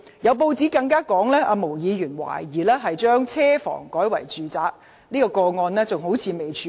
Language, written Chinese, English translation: Cantonese, 有報道更質疑，毛議員把車房改作住宅用途一事，至今仍未處理。, A report has even queried that Ms MOs conversion of a garage for residential use has yet been rectified